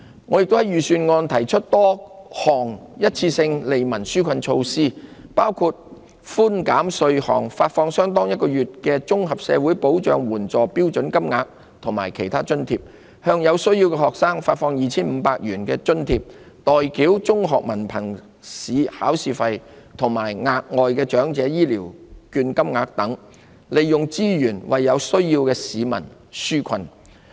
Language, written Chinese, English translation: Cantonese, 我也在預算案提出多項一次性的利民紓困措施，包括寬減稅項、發放相當於1個月的綜合社會保障援助標準金額及其他津貼、向有需要的學生發放 2,500 元津貼、代繳中學文憑試考試費及額外長者醫療券金額等，利用資源為有需要的市民紓困。, In the Budget I also put forth various one - off relief measures including tax relief providing an extra allowance equal to one month of the standard rate Comprehensive Social Security Assistance payments or other allowances providing to each student in need a grant of 2,500 paying the examination fees for school candidates sitting for the Hong Kong Diploma of Secondary Education Examination and providing additional vouchers under the Elderly Health Care Voucher Scheme thereby providing relief for people in need through the utilization of resources